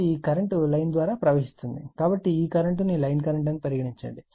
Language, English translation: Telugu, So, this is this current is going through the line we call line current